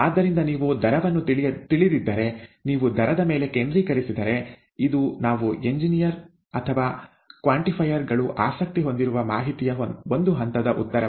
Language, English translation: Kannada, So if you know the rate, if you focus on the rate, it is a one step answer to the kind of information that we engineers or quantifiers are interested in